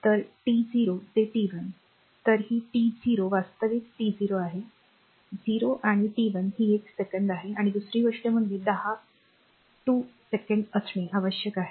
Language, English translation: Marathi, So, t 0 to t 1; so, this is t 0 actually t 0 actually 0 and t 1 is one second right another thing is you want in between 2 second